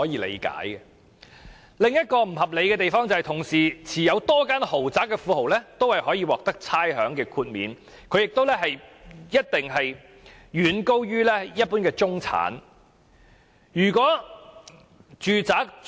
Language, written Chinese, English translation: Cantonese, 另一個不合理的地方，是同時擁有多間豪宅的富豪亦可以獲得差餉豁免，豁免金額一定遠高於一般中產人士的收入。, Another area that is unreasonable is that tycoons owning a number of luxury properties can also enjoy the rates concession and the exempted rates payments must be far higher than the wages of an ordinary middle - class person